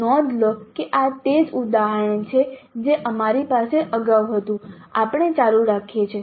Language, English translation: Gujarati, Notice this is the same example which we had earlier we are continuing